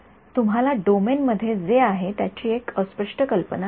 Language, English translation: Marathi, You will get a fuzzy idea of what is in the domain no that is correct